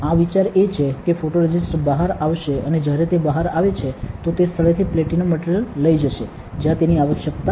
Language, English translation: Gujarati, The idea is the photoresist will come out by and while it comes out it will take away the material platinum from places where it is not required